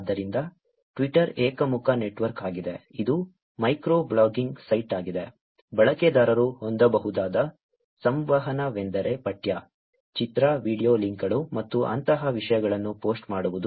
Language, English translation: Kannada, So, Twitter is a unidirectional network, it is a micro blogging site, the interactions that users could have is post a text, image, video links, and things like that